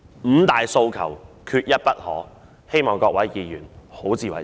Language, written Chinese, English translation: Cantonese, "五大訴求，缺一不可"，希望各位議員好自為之。, Five demands not one less I hope that all Members will acquit themselves well